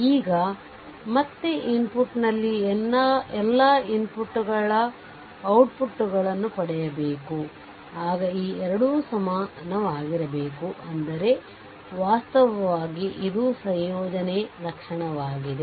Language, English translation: Kannada, Now again at the input all the inputs are there get output response this 2 must be your equal right so, that is call actually additivity property